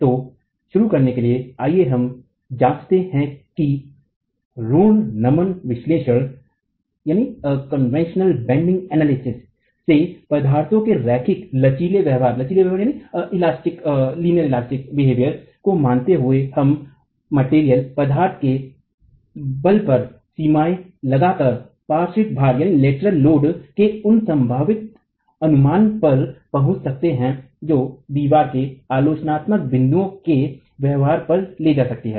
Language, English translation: Hindi, So, to begin with, let's examine how from conventional bending analysis, assuming linear elastic behavior of the material, we can put limits on the strengths of the material and arrive at possible estimate of the lateral load that the wall can carry at critical points of the behavior